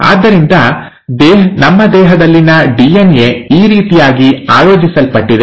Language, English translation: Kannada, So, that is what, that is how the DNA in our body is organized